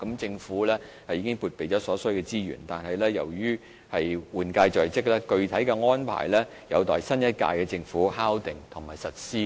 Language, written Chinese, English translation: Cantonese, 政府已撥備所需的資源，但由於換屆在即，具體安排有待新一屆政府敲定及實施。, The Government has made provision for the required resources but given the approaching change of government specific arrangements are pending confirmation and implementation by the new - term Government